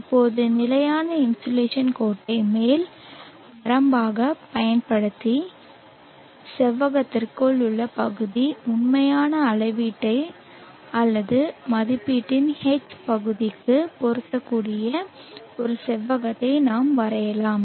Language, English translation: Tamil, Now using the standard insulation line as the upper limit, we can draw a rectangle like this such that the area within the rectangle is matching the area H of the actual measurement or estimation